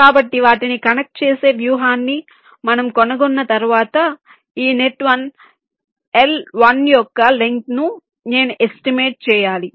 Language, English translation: Telugu, so once we find out a strategy of connecting them, i have to estimate the length of this net, one l one